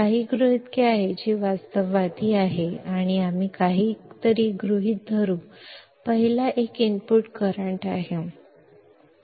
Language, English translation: Marathi, There are few assumptions that areis realistic and we will assume something; the first one is 0 input current